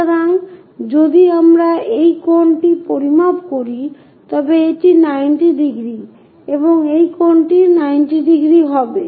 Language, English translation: Bengali, So, if we are measuring this angle this is 90 degrees and this angle is also 90 degrees